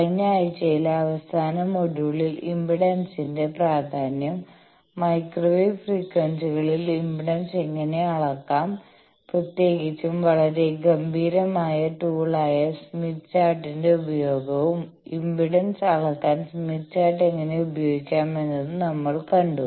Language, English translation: Malayalam, In the last module that is the last week we have seen the importance of impedance, how to measure impedance at microwave frequencies particularly we have seen the use of a very elegant tools smith chart, and how to use the smith chart to measure impedance